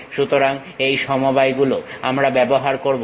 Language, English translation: Bengali, So, these are the combinations what we will use